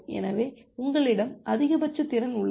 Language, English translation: Tamil, So, you have a maximum capacity